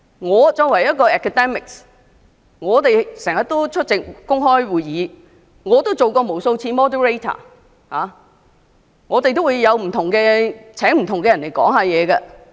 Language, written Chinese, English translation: Cantonese, 我作為一名學者，經常出席公開會議，我也曾出任主持人無數次，亦曾邀請不同人士演講。, As an academic I often attend public meetings and have acted as a moderator for many times . I have also invited different people to deliver speeches